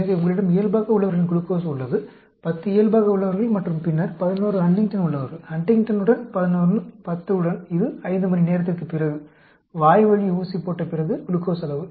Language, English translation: Tamil, So, you have the control glucose, 10 control and then, 11 with Huntington; 11 with Huntington, 10 with… This is the glucose levels after 5 hour, after oral injection